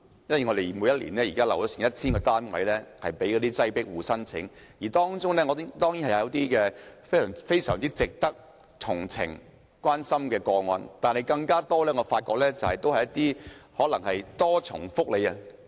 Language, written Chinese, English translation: Cantonese, 每年有 1,000 個單位供"擠迫戶"申請，當然，當中有非常值得同情和關心的個案，但我發現很多個案涉及可能享有"多重福利"的人士。, Each year 1 000 units are made available for application by overcrowded households . There are certainly cases which are worthy of our sympathy and care but I have found that in many cases the households may be enjoying multiple benefits